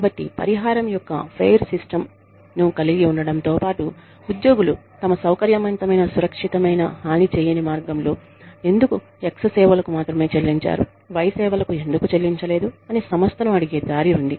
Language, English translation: Telugu, So, in addition to, having a fair system of compensation, the employees should also have, a way, a comfortable, safe, harmless way, of asking the organization, why they are being paid X, and not Y, for their services